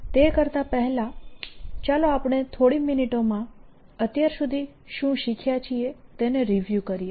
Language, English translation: Gujarati, before we do that, let me first review, just in a few lines or a couple of minutes, what we have learnt so far